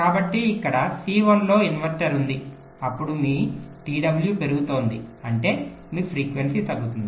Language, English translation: Telugu, so there is a inverter here in c one, then your t w is increasing, which means your frequency would be decreasing